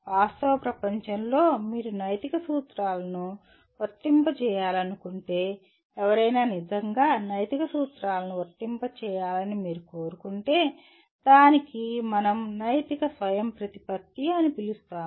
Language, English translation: Telugu, But in real world, if you want to apply ethical principles, if you want someone to really be able to apply ethical principles it requires what we call moral autonomy